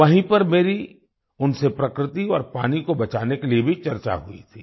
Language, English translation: Hindi, At the same time, I had a discussion with them to save nature and water